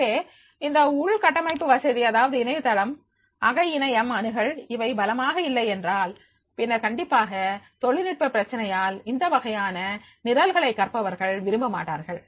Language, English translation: Tamil, So that infrastructure facility that is the internet, intranet access, if that is not strong then definitely because of these technical problems, this type of the program they will not be preferred by the learners